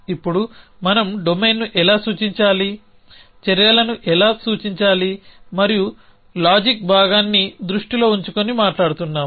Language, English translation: Telugu, Now, we a talking about how to represent a domain, how to represent actions and also we have keeping the reasoning part in mind